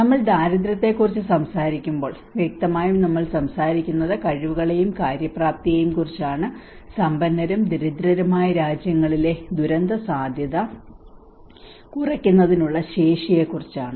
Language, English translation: Malayalam, When we talk about poverty, obviously we are talking about the abilities and the capacities, the disaster risk reduction capacities in richer and poor countries